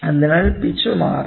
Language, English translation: Malayalam, So, this is pitch